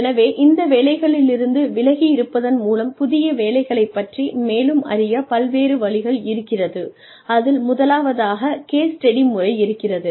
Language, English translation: Tamil, So, various ways in which, we can learn more about, new jobs by being away, from these jobs are, first is case study method